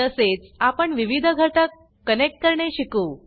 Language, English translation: Marathi, We will also learn to connect the various components